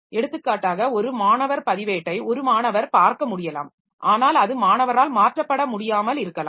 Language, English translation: Tamil, For example, the student record may be viewed by a student but it may not be modifiable by the student